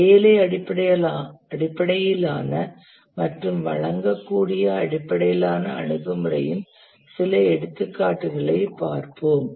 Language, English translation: Tamil, Let's look at some examples of the work based and deliverable based approach